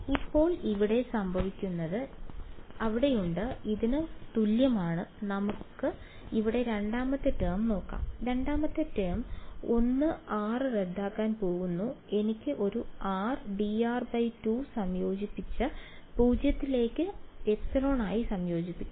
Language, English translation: Malayalam, Now what happens over here is there are so, is equal to this let us let us look at the second term over here, second term is going to cancel of 1 r I will be left with a r d r by 2, r d r by 2 integrate 0 to epsilon what is going to happen